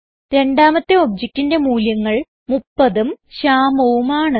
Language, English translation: Malayalam, The second object has the values 30 and Shyamu